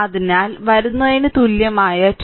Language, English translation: Malayalam, So, equivalent towards coming 22